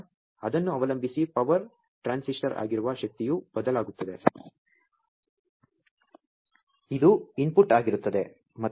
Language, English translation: Kannada, So, depending on that the power that is the power transistor, which is there the input to that is varying